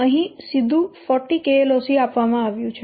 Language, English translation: Gujarati, Here it is directly given 40KLOC